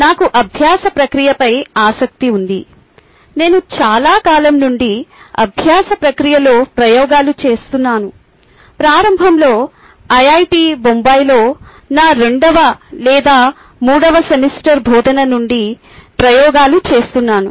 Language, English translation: Telugu, i have been doing experiments in the learning process for a very long time, pretty much right from my second or third semester of teaching at iit bombay initially